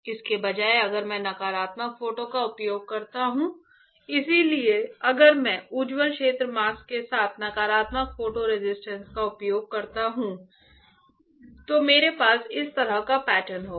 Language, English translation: Hindi, Instead of that if I use negative photo resist negative photo resist; so, if I use negative photo resist with bright field mask right what I will have is this kind of pattern